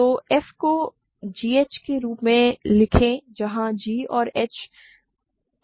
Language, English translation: Hindi, So, write f as g h where g and h are in Q X